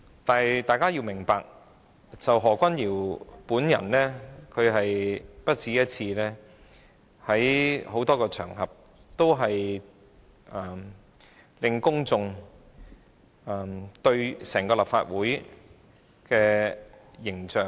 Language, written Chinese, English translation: Cantonese, 但是，大家要明白，何君堯議員已不止一次在多個場合，破壞公眾對整個立法會的形象。, However we need to pay attention that Dr Junius HO has more than once damaged the image of the Legislative Council on several occasions